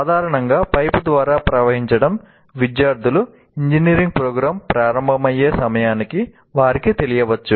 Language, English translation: Telugu, Flow through a pipe, generally the students would know by the time they would start with, let us say, their engineering programs